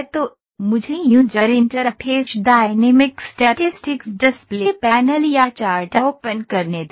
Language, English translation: Hindi, So, let me pick user interface, dynamic statistics display panel or chart open